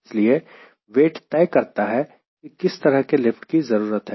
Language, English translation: Hindi, so weight decides what sort of lift i need to generate